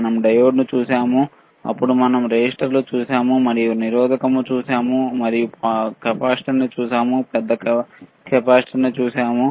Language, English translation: Telugu, We have seen diode then we have seen resistor, we have seen resistor we have seen capacitor we have seen bigger capacitor